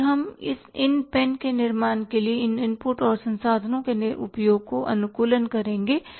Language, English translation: Hindi, So, we will optimize the uses of these inputs and resources we are using to manufacture this pen